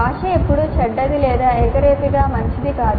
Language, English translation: Telugu, It is not that the language is always bad or uniformly good